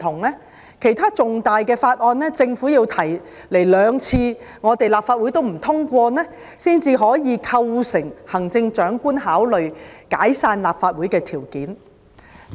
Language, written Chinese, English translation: Cantonese, 就其他重大法案，如果政府向立法會提交兩次也不獲通過，方可構成行政長官考慮解散立法會的條件。, If an important bill submitted by the Government is not passed by the Legislative Council the second time the Chief Executive may consider it a condition for dissolving the Legislative Council